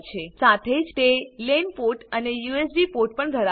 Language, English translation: Gujarati, It also has a lan port and USB ports